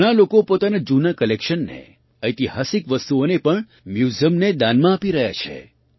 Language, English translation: Gujarati, Many people are donating their old collections, as well as historical artefacts, to museums